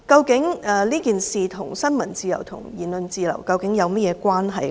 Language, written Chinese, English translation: Cantonese, 這事件與新聞自由和言論自由究竟有何關係？, How is this incident related to freedom of the press and freedom of speech?